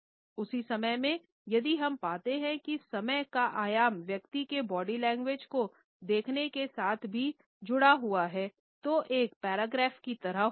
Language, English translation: Hindi, At the same time, if we find that the dimension of time is also associated with our looking at the other person’s body language it becomes like a paragraph